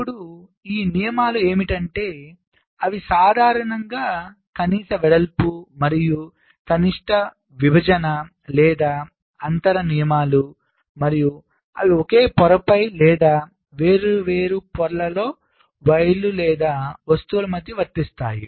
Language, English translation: Telugu, now these ah rules: they are typically minimum width and minimum separation or spacing rules and they apply between wires or objects on the same layer or across different layers